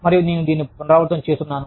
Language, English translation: Telugu, And, i am repeating this